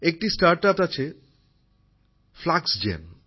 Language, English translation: Bengali, There is a StartUp Fluxgen